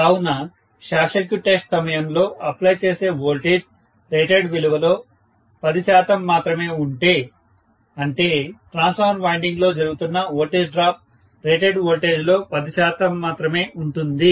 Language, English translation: Telugu, So, if the voltage applied during short circuit test is only 10 percent of the rated value, that means the voltage drop that is taking place within the transformer winding is only 10 percent of the rated voltage